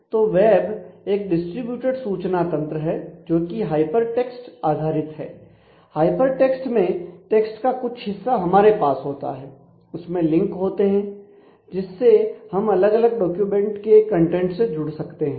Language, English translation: Hindi, So, web is a distributed information system which is based on hyper text a hyper text is one where you have a part of the text available to you and then you have links we say our hyper links which can connect to the different documents contents